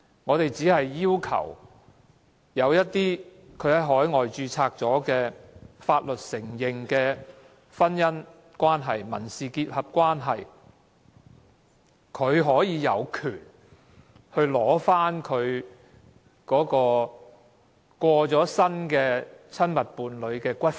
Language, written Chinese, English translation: Cantonese, 我們只是要求在海外註冊獲海外法律承認的婚姻關係和民事結合的另一方有權領取其過世的親密伴侶的骨灰。, We are only requesting that the other party to a marriage and civil union registered overseas and recognized by overseas laws has the right to claim for the return of the ashes of his deceased intimate partner